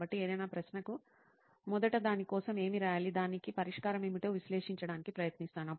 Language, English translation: Telugu, So for any question, first I try to analyze what the solution to give for that, solution for it